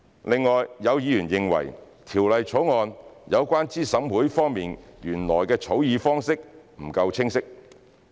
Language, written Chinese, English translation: Cantonese, 另外，有議員認為《條例草案》有關資審會方面原來的草擬方式不夠清晰。, Moreover some members think that the original drafting approach of the Bill regarding CERC is not clear enough